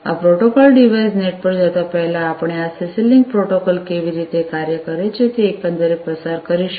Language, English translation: Gujarati, So, before we go to this protocol device net we will go through overall how this CC link protocol works